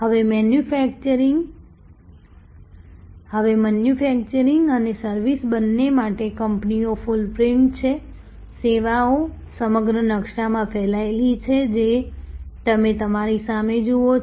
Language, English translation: Gujarati, Now, but the companies footprint for both manufacturing and service, services are spread over the whole map as you see in front of you